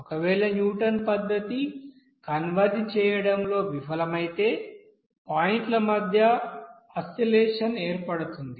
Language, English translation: Telugu, If Newton's method fails to converge this will result in an oscillation between points there